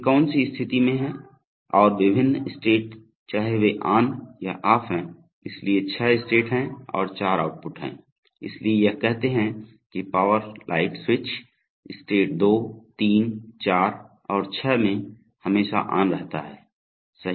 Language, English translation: Hindi, Which are, what are the status whether they are on or off in the various state, so there are six states and there are four outputs, so it says that the power light switch stays on, in state 2, 3, 4 & 6 right